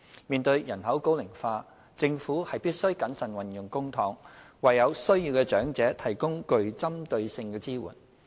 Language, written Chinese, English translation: Cantonese, 面對人口高齡化，政府必須審慎運用公帑，為有需要的長者提供具針對性的支援。, In view of an ageing population the Government has to ensure prudent use of public funds in order to provide targeted support for needy elderly persons